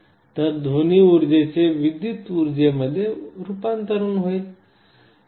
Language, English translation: Marathi, So, sound energy gets converted into electrical energy